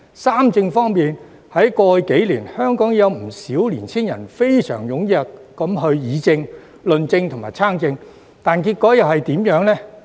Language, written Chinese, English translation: Cantonese, "三政"方面，在過去數年，香港已有不少青年人非常踴躍議政、論政及參政，但結果怎樣？, Regarding those three concerns of young people in the past few years many young people in Hong Kong have already been very active in participating in politics as well as public policy discussion and debate